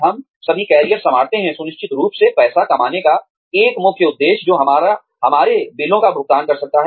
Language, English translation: Hindi, We all take up careers, with of course, one main intention of earning money, that can pay our bills